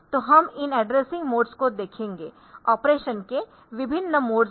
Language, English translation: Hindi, So, we will see this addressing modes after this, so different modes of operation